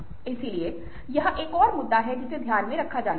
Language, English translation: Hindi, so this is another issue that needs to be kept in mind